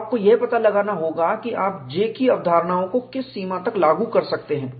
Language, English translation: Hindi, So, you have to find out, to what extent you can apply, the concepts of J